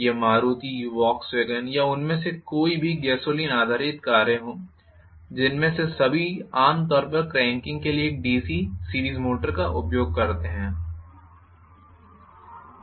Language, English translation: Hindi, Whether it is Maruti, Volkswagen or any of them gasoline based cars all of them generally use a DC series motor for cranking up